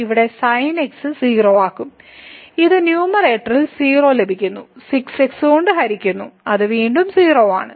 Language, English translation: Malayalam, So, we are getting in the numerator and divided by which is again